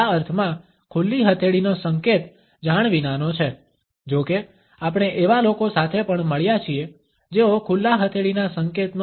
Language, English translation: Gujarati, The open palm gesture in this sense is unconscious; however, we have also come across people who train themselves in the use of this open palm gestures